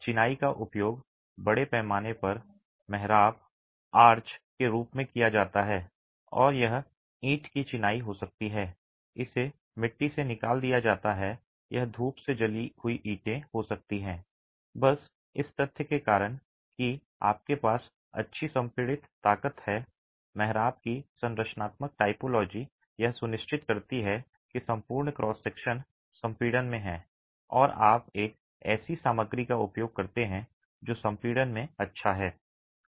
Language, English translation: Hindi, Masonry is extensively used in the form of arches and this could be brick masonry, it could be fired clay, it could be sunburned bricks simply because of the fact that you have good compressive strength, the structural typology of the arch ensures that the entire cross section is in compression and you use a material which is good in compression